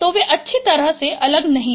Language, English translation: Hindi, So they are not well separated